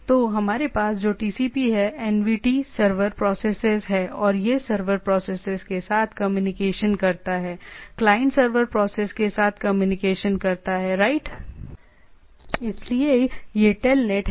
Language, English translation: Hindi, So, what we have TCP, NVT server processes, and this communicates with the server processes, client communicates with the server process right, so that is the telnet